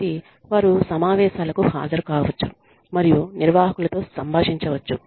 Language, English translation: Telugu, So, they can attend meetings, and interact with the managers